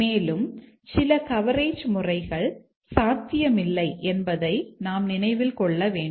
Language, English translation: Tamil, Also, we must remember that certain coverage may not be achievable